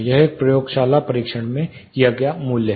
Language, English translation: Hindi, This is a laboratory tested value